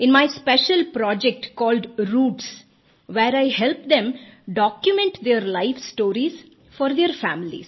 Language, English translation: Hindi, In my special project called 'Roots' where I help them document their life stories for their families